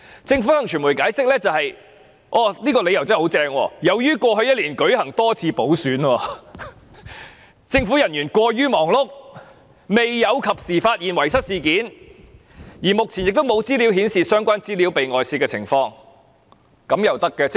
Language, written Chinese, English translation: Cantonese, 政府向傳媒解釋——這個理由真的很出色——由於過去一年舉行多次補選，政府人員過於忙碌，未有及時發現遺失事件，而目前沒有資料顯示相關資料遭外泄的情況，這樣也行嗎？, The Government explained to the media by giving a really brilliant reason that having held many by - elections in the previous year government officials were too busy to discover in time the loss and there had been no information so far showing any leakage of the relevant information . Is that acceptable?